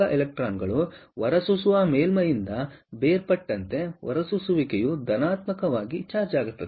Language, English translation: Kannada, ok, apart from that, see, as the electrons dissociate from the emitter surface, the emitter becomes positively charged